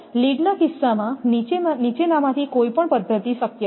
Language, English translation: Gujarati, In case of lead either of the following methods is possible